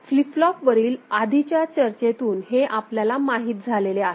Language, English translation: Marathi, So, this we already know from our earlier discussion on flip flop